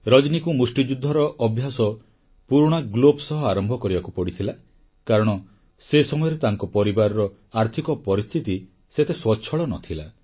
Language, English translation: Odia, Rajani had to start her training in boxing with old gloves, since those days, the family was not too well, financially